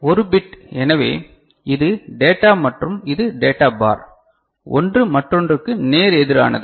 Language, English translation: Tamil, So, 1 bit so, this is data and this is data bar, one is opposite of another ok